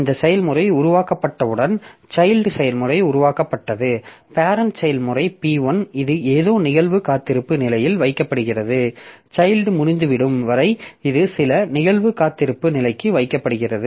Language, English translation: Tamil, So as soon as this process is created, child process is created, the parent process P1, it is put into some event weight state, it is put into some event weight state for the child to be over